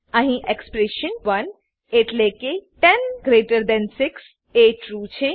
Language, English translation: Gujarati, Here expression 1 that is 106 is true